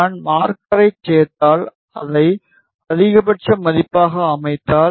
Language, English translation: Tamil, If I add marker and I set it to maximum value